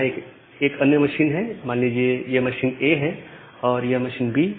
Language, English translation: Hindi, There is another machine say this is machine A, this is machine B